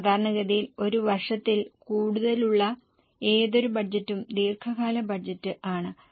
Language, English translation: Malayalam, Typically any budget which is for more than one year is long term